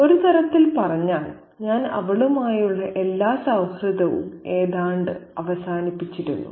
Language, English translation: Malayalam, In a way, I had almost ended all friendship with her